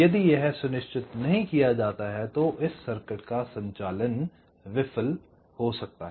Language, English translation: Hindi, so so if this is not ensured, your this operation of this circuit might fail, ok